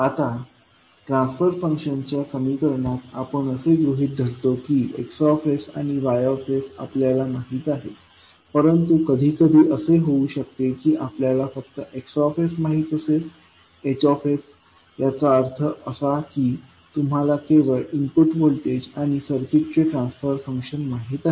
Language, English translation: Marathi, Now, in the transfer function equation we assume that X s and Y s are known to us, but sometimes it can happen that you know only X s, H s at just that means you know only the input voltage and the transfer function of the circuit